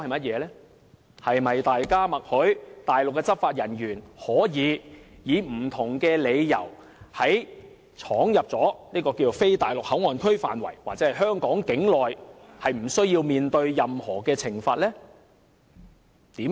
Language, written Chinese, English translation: Cantonese, 是否等於大家默許內地執法人員，可以藉不同理由闖入非內地口岸區範圍或香港境內，而無須面對任何懲罰？, Does the opposition imply that we will give tacit consent to Mainland enforcement officers to enter non - MPA or the Hong Kong territory by various excuses without facing any penalty?